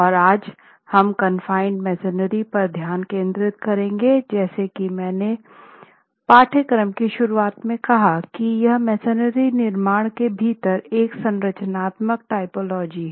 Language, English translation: Hindi, Now confined masonry as introduced at the beginning of the course is a structural typology within masonry constructions